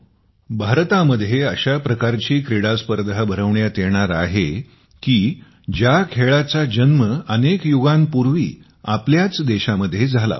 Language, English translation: Marathi, Friends, there is going to be an international tournament of a game which was born centuries ago in our own country…in India